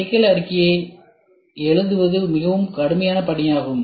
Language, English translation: Tamil, Writing the problem statement is also a very difficult task